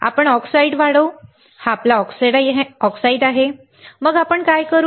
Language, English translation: Marathi, We grow oxide, this is our oxide, then what we do